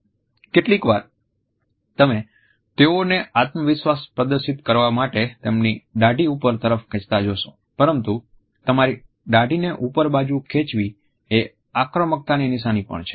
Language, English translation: Gujarati, Sometimes, you will even see them pull their chin up to display confidence, but pulling your chin up is also a cue for aggression